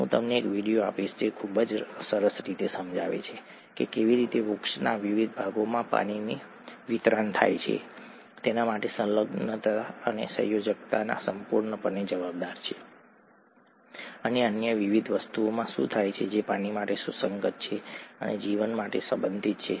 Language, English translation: Gujarati, I will give you a video which very nicely explains how adhesion and cohesion are entirely responsible for the way the water gets distributed to various parts of tree, and what happens in various other things that, of life that are relevant for water and relevant in the context of water and so on